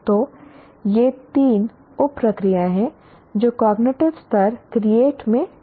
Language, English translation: Hindi, So these are the three sub processes that are involved in the cognitive level create